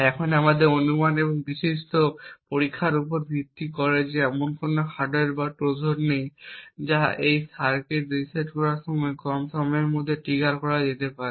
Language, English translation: Bengali, Now based on our assumption and the extensive testing that there are no hardware Trojan that can be triggered with a time less than an epoch resetting this circuit would prevent any Trojan from being triggered